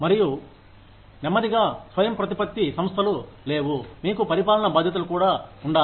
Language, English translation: Telugu, And, then slowly, autonomous institutes said, no, you need to have administrative responsibilities, also